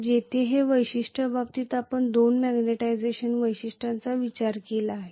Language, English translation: Marathi, Where as in this particular case we have considered two magnetization characteristics